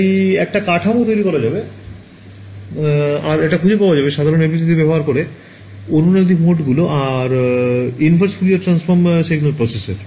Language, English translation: Bengali, So, I have made a structure and I am able to identify these are the resonant modes by using simple FDTD and inverse Fourier transform signal processor ok